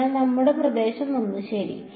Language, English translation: Malayalam, So, our region 1 ok